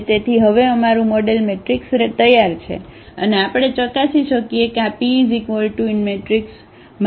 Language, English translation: Gujarati, So, our model matrix is ready now and we can verify that how this P inverse AP A P look like